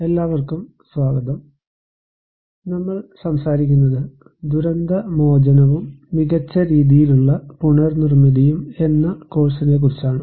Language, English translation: Malayalam, Hello everyone, we are talking about lecture course on disaster recovery and build back better